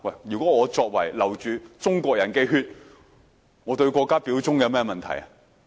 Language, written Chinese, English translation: Cantonese, 如果我流着中國人的血，我對國家表忠有甚麼問題？, If I have Chinese blood in me what is wrong with me pledging allegiance to my country?